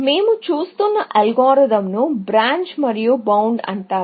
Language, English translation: Telugu, The algorithm that we are looking at is called Branch and Bound